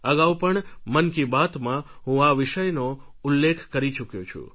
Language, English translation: Gujarati, I have already mentioned this in the previous sessions of Mann Ki Baat